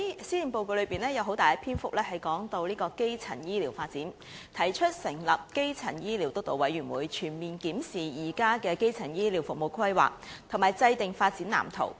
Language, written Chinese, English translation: Cantonese, 施政報告有很大篇幅談論基層醫療發展，提出成立基層醫療發展督導委員會，全面檢視現時基層醫療服務的規劃，並制訂發展藍圖。, The Policy Address has devoted much coverage to the development of primary health care proposing the establishment of a steering committee on primary health care development to comprehensively review the existing planning of primary health care services and draw up a development blueprint